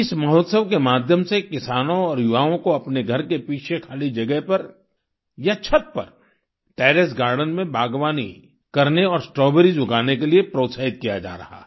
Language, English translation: Hindi, Through this festival, farmers and youth are being encouraged to do gardening and grow strawberries in the vacant spaces behind their home, or in the Terrace Garden